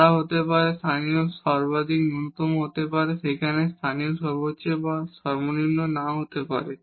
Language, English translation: Bengali, They may be there may be local maximum minimum there may not be a local maximum or minimum